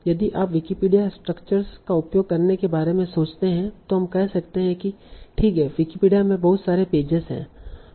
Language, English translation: Hindi, So if you think about using Wikipedia structure, we can say that, OK, Wikipedia has a lot of pages